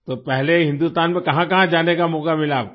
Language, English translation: Hindi, So where all did you get a chance to go in India earlier